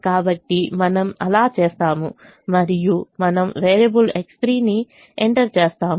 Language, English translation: Telugu, so we do that and we enter variable x three